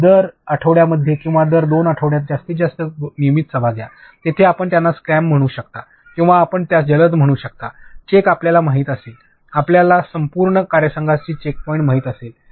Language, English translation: Marathi, So, have regular meetings like every week or every 2 weeks maximum, where if you can call it a scrum or you can call it a quick you know check; check point for your entire team